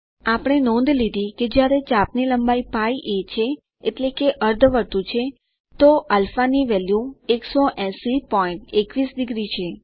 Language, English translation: Gujarati, We notice that when the arc length is [π a] that is a semi circle, the value of α is 180.21 degrees